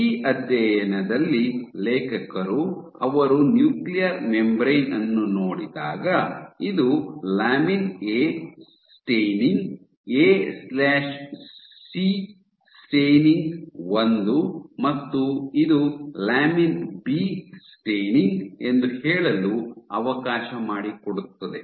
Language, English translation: Kannada, So, what in this study the authors also showed, so when they look at the nuclear membrane, if this lets say if this is my lamin A staining, A/C staining I and if this is my lamin B staining ok